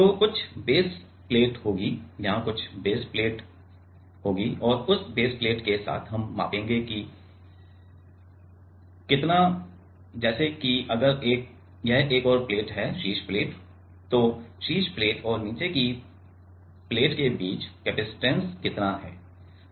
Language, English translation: Hindi, So, there will be some baseplate, there will be some baseplate here and with that baseplate we will measure that how much is the let us say, if this is another plate type the top plate this mass, the top plate then, how much is the capacitance in between the top plate and the bottom plate